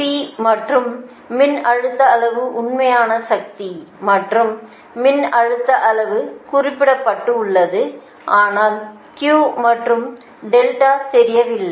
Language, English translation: Tamil, p and voltage magnitude, real power and voltage magnitude are specified, but q and delta are not known, right